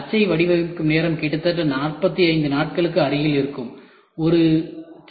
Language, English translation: Tamil, The die designing time itself takes almost close to 45 days